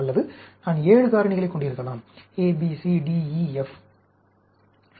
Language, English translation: Tamil, Or, I can have 7 factors, A, B, C, D, E, F